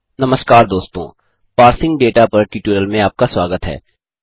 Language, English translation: Hindi, Hello friends and welcome to the tutorial on Parsing Data